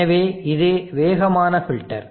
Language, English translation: Tamil, So therefore, this is the fast filter